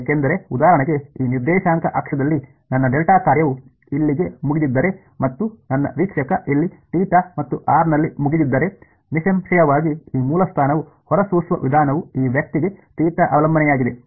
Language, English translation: Kannada, Because if for example, in this coordinate axis if my delta function is over here and my observer is over here at theta and r then; obviously, the way this source is emitting there is a theta dependence for this guy over here